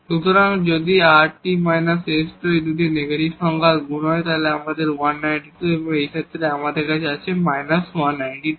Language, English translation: Bengali, So, if rt minus s square this is a product of these 2 negative number we have plus 192 and in this case we have minus 192